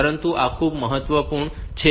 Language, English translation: Gujarati, But this is very important